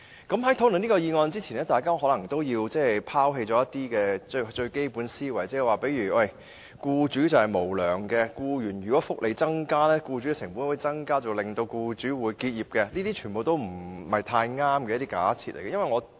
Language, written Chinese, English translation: Cantonese, 在討論這項議案之前，大家可能先要拋棄一些基本思維，例如僱主是無良的、增加僱員福利，便會增加僱主的成本，導致僱主結業等，這些全部是不太正確的假設。, Before we come to the discussion on the motion Members may have to cast aside certain preconceived notions like employers are unscrupulous and that enhancement of employees benefits will increase employers cost and result in closure of business for all these presumptions are incorrect